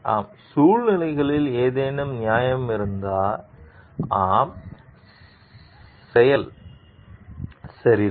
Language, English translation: Tamil, Yes was there any justification in the circumstances, yes the act is ok